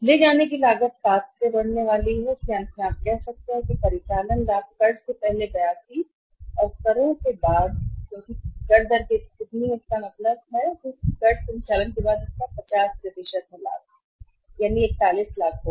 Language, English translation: Hindi, And carrying cost is there is going to increase by 7 so finally you can say that operating profit before tax is 82 and after taxes because tax rate is how much 50% it means after tax operating profit will be 41 lakhs it is rupees in lakhs